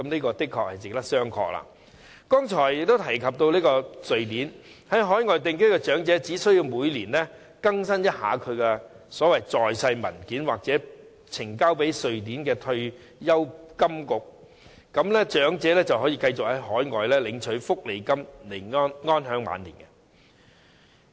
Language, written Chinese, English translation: Cantonese, 在我剛才提到的瑞典，其在海外定居的長者只須每年更新他的"在世證明文件"，並呈交予瑞典退休金局，便可以繼續在海外領取福利金安享晚年。, Speaking of Sweden as I mentioned just now its elderly people who live overseas are only required to update their life certificates once a year and submit them to the Swedish Pensions Agency . That way they may continue to receive welfare benefits in overseas countries and live their retirement life in contentment